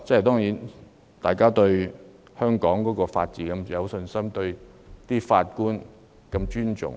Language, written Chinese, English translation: Cantonese, 大家對香港法治有信心，亦很尊重法官。, We all have confidence in the rule of law in Hong Kong and respect for judges